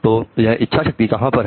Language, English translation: Hindi, So where does this will